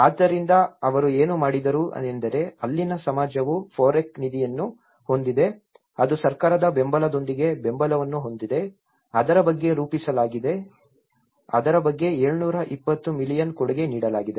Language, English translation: Kannada, So, what they did was the society there is a FOREC fund which has been support with the support from the government it has been formulated it’s about it contributed about 720 million